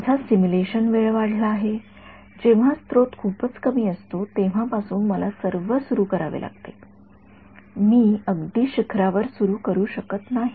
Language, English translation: Marathi, My simulation time has increased, I have to start all the way from when the source is very low in value, I could not have started just at the peak